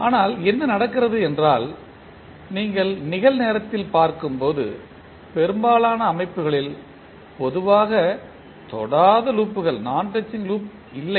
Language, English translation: Tamil, But, what happens that the generally in most of the system which you see in real time do not have non touching loops